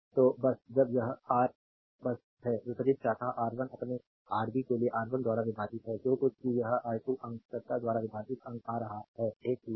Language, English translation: Hindi, So just when it is Ra just; opposite branch is R 1 divided by R 1 for your Rb whatever it is coming numerator divided by R 2 numerator is same